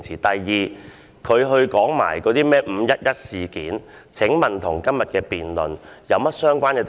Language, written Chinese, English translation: Cantonese, 第二，他說甚麼"五一一事件"，請問與今天的辯論有何相關之處？, Secondly what does his so - called 511 incident have to do with todays debate?